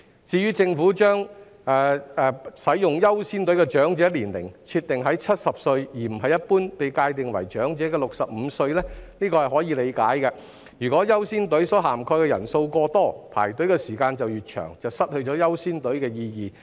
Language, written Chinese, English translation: Cantonese, 至於政府把使用"優先隊伍"的長者年齡設定在70歲，而不是一般被界定為長者的65歲，這是可以理解的，若"優先隊伍"所涵蓋的人數過多，排隊的時間就越長，失去"優先隊伍"的意義。, As for the Governments proposal to set the eligible age of elderly persons for using caring queues at 70 instead of 65 which is generally defined as the elderly it is understandable . If too many people are eligible to use caring queues the waiting time will be extended and it will defeat the purpose for setting up caring queues